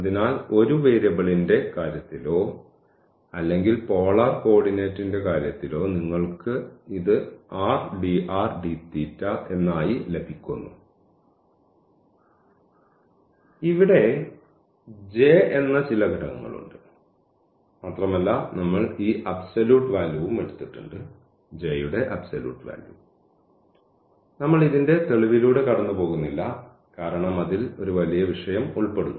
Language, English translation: Malayalam, So, in case of one variable or in case of that polar coordinate you are getting just this as r dr d theta, so there is some factor here this J and we have taken this absolute value also; we are not going through the proof of this because that is a bit involved a topic